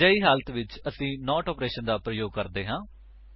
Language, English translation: Punjabi, In such situations, we use the NOT operation